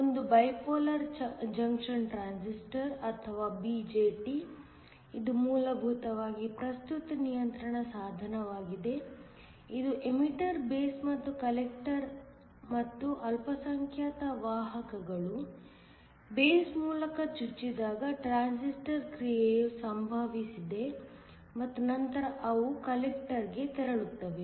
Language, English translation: Kannada, One was the bipolar junction transistor or BJT this is essentially a current control device, it had an emitter base and a collector and transistor action occurred when the minority carriers where injected through the base and then they moved on to the collector